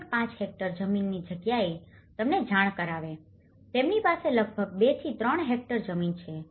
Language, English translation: Gujarati, 5 hectare land, they are having about 2 to 3 hectares land of it